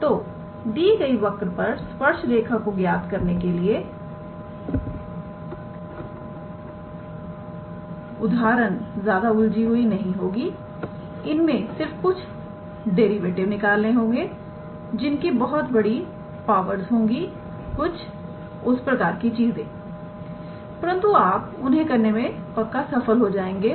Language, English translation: Hindi, So, the examples would not be that much complicated when you are asked to calculate the tangent line for a given curve it might involve doing some derivative which may have some higher powers or something like that, but pretty sure you can be able to do it